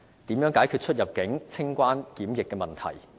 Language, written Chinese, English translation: Cantonese, 如何解決出入境、清關及檢疫問題？, How can the problem of conducting customs immigration and quarantine CIQ procedures be resolved?